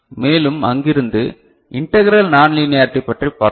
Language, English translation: Tamil, And from there, we go to something which is called integral non linearity ok